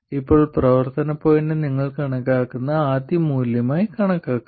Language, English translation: Malayalam, And operating point for now you can consider it as the very first value that you calculate